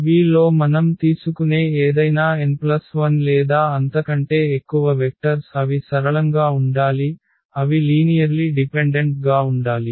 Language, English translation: Telugu, So, any n plus 1 or more vectors we take in V they must be linearly they must be linearly dependent